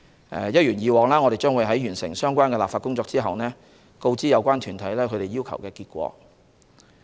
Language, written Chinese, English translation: Cantonese, 一如以往，我們在完成相關立法工作後會把結果告知有關團體。, As in the past we would notify the relevant individual bodies of the results upon conclusion of the relevant legislative exercise